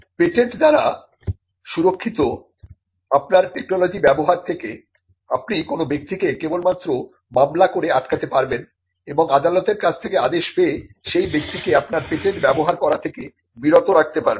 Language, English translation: Bengali, The only way you can stop a person from using your technology which is protected by patents is to litigate and to get an order from the court restraining that person from using your patent